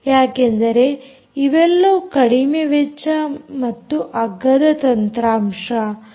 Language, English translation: Kannada, because they are low cost and cheap hardware